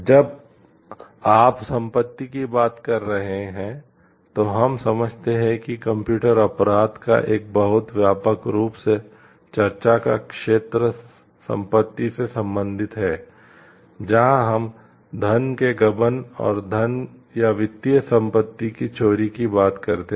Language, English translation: Hindi, When you talking of property we understand the one like very very widely discussed area of computer crime is that with related to property, where we talk of embezzlement of funds and stealing of money or financial assets